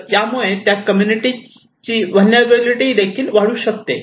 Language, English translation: Marathi, So, it can also increase the vulnerability of that community